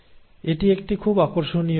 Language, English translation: Bengali, And this is a very interesting video